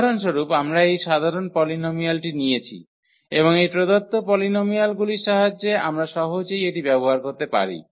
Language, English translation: Bengali, So, for instance we have taken this general polynomial and with the help of these given polynomials we can easily use this